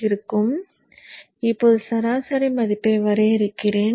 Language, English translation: Tamil, So let me now draw the average value